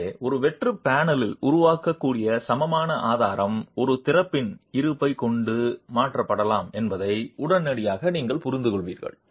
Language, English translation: Tamil, So, immediately you would understand that the equivalent strut that can form in a blank panel can be altered with the presence of an opening